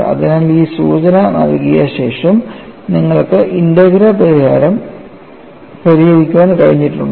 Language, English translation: Malayalam, So, I would like to know having given this clue, have you been able to solve the integral